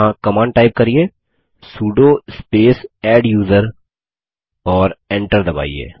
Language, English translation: Hindi, Here type the command sudo space adduser and press Enter